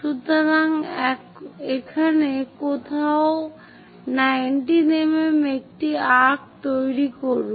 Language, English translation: Bengali, So, make an arc of 19 mm somewhere here